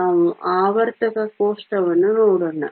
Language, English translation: Kannada, Let us take a look at the periodic table